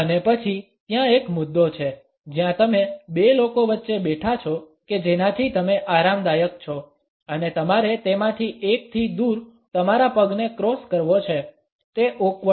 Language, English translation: Gujarati, And then there is the issue where you are sitting between two people that you are comfortable with and you have to cross your leg away from one of them; that is awkward